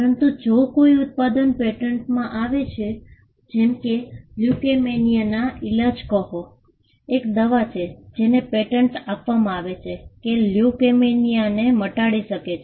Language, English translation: Gujarati, But if a product is patented, say a cure for leukaemia and there is a drug that is patented which can cure leukaemia